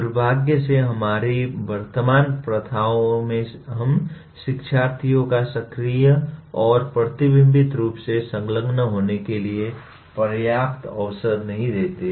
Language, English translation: Hindi, Unfortunately in our current practices we do not give adequate opportunity for learners to engage actively and reflectively